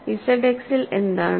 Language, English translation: Malayalam, What about in Z X